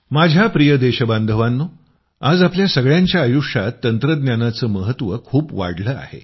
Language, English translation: Marathi, My dear countrymen, today the importance of technology has increased manifold in the lives of all of us